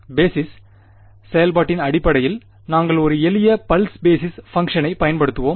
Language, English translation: Tamil, Basis right in terms of basis function and we use a simple pulse basis function right